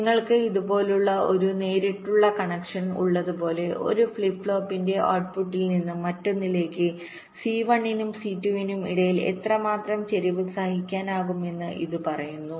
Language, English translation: Malayalam, like you have a direct connection like this from the output of one flip flop to the other, its says how much skew between c one and c two can be tolerated